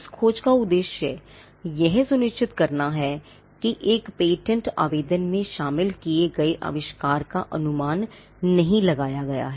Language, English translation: Hindi, The objective of this search is to ensure that the invention as it is covered in a patent application has not been anticipated